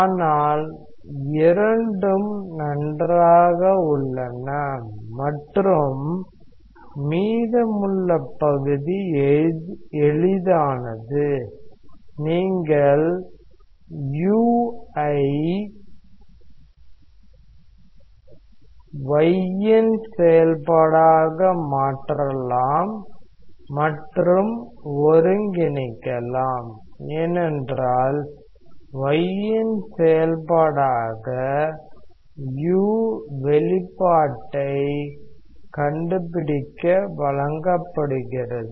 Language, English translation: Tamil, But both are fine and the remaining part is easy, you may substitute u as a function of y and integrate, because u as a function of y is given to find out the expression